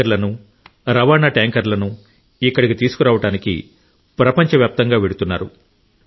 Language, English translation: Telugu, Going around the world to bring tankers, delivering tankers here